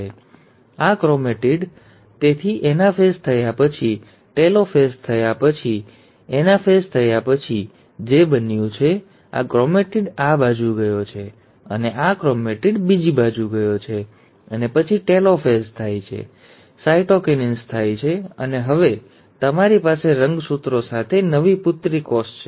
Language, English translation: Gujarati, So this chromatid, so what has happened after the anaphase has taken place, after the telophase has taken place; this chromatid has gone onto this side, and this chromatid has gone onto the other side, and then the telophase happens, cytokinesis takes place, and now you have the new daughter cell with the chromosomes